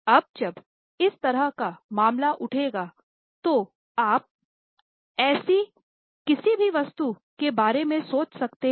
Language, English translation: Hindi, Now when such case will arise, can you think of any such item